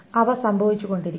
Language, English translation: Malayalam, They must be happening